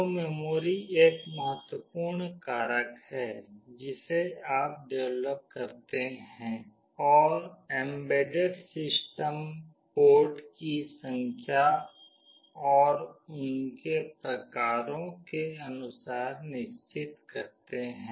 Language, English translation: Hindi, So, memory is an important factor that is to be decided when you develop and embedded system, number of ports and their types